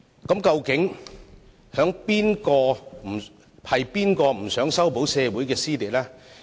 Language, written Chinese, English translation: Cantonese, 那麼，究竟是誰不想修補社會撕裂？, So who exactly are the ones who do not want to resolve dissension within society?